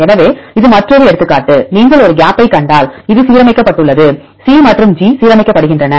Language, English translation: Tamil, So, this is another example, if you see one gap and here this is aligned C and G are aligned